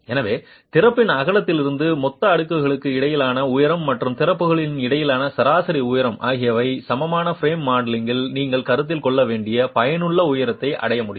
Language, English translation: Tamil, So, from the width of the opening, the total interstory height, and the average height between the openings, it is possible to arrive at what the effective height you should be considering in the equivalent frame modeling